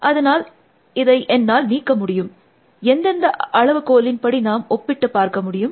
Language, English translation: Tamil, So, I can remove this, what are the parameters on which we should compare